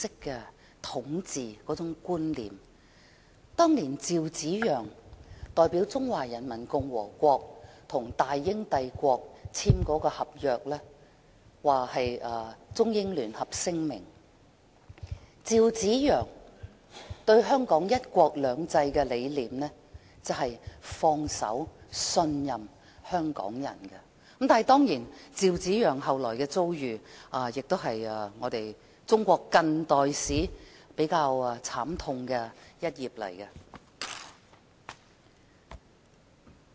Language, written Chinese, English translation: Cantonese, 據趙紫陽當年代表中華人民共和國與大英帝國簽署的《中英聯合聲明》，趙紫陽對"一國兩制"的理念是信任和放手讓港人管治，但當然，趙紫陽後來的遭遇亦是中國近代史上比較慘痛的一頁。, According to ZHAO Ziyang who signed the Sino - British Joint Declaration with the British Empire for the Peoples Republic of China years ago the concept of one country two systems is about trusting Hong Kong people and giving them a free hand to govern Hong Kong . But of course what happened to ZHAO subsequently is quite a miserable leaf in contemporary Chinese history